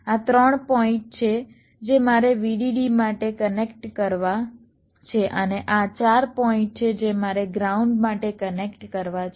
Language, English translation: Gujarati, next, this are the three point i have to connect for vdd and these are the four points i have to connect for ground